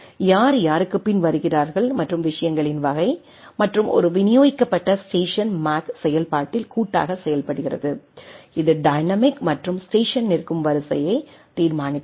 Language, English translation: Tamil, Who comes after whom and type of things and there is a distributed station collectively perform in MAC function to determine dynamically and the order in which the station stand right